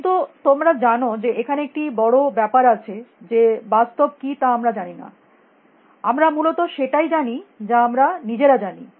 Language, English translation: Bengali, But there is a big case in that you know we do not know what is reality; we only know what we know essentially